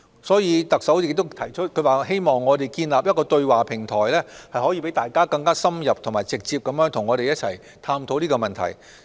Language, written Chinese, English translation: Cantonese, 所以，特首亦提出，希望建立一個對話平台，可以讓大家更深入及直接地與我們一同探討這些問題。, Hence the Chief Executive also proposes the setting up of a dialogue platform for in - depth and direct discussion with us on these issues